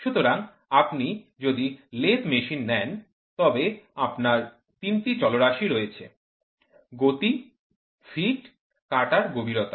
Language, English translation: Bengali, So, let if you take lathe machine you have three parameters; speed, feed, depth of cut